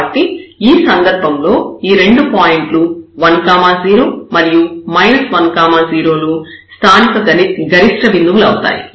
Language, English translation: Telugu, So, in this case these 2 points plus 1 0 and minus 1 0 these are the points of local maximum